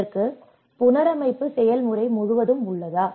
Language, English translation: Tamil, Is it throughout the reconstruction process